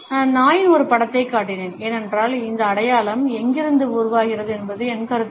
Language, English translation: Tamil, I showed a picture of the dog, because there is in my opinion where this sign originates from